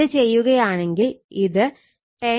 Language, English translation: Malayalam, If, you do it will become 10